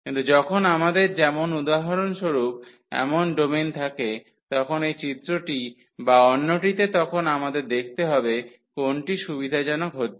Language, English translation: Bengali, But, when we have such a domains for example, in this figure or in the other one then we should see that which one is convenience